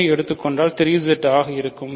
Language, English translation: Tamil, Let us take 3 which is 3Z